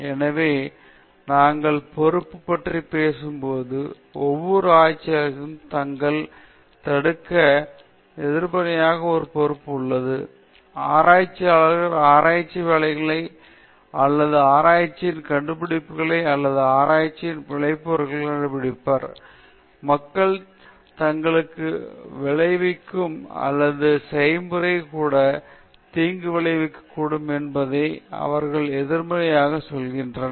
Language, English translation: Tamil, So, when we talk about responsibility, every researcher has a responsibility to negatively to prevent harm; I would start with that, I say negatively, because researchers, research work or the findings of research or the products and consequences of research, might harm people or even the process itself might be harmful